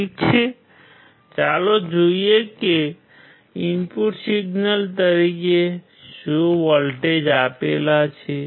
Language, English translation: Gujarati, Ok, so let us see what voltage has he applied as an input signal